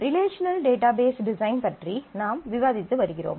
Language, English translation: Tamil, We have been discussing about relational database design